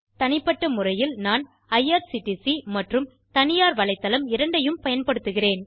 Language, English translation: Tamil, Personally in my case I use both irctc and private website